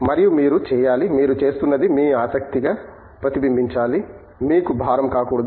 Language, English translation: Telugu, And you should, what you are doing it should reflect as your interest, should not be a burden for you